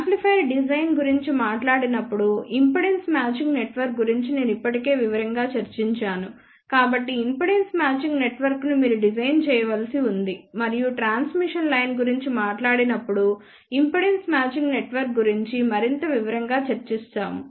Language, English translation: Telugu, The last step then left is you have to design impedance matching network since I have already discussed impedance matching network in detail when we talked about amplifier design and also impedance matching network has been discussed in much more detail when we talked about transmission line